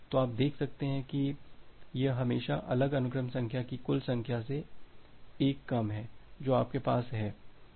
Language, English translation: Hindi, So, you can see that it is always 1 less than the total number of distinct sequence numbers that you have